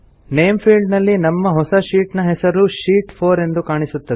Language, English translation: Kannada, In the Name field, the name of our new sheet is s displayed as Sheet 4